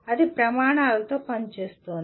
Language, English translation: Telugu, That is working with standards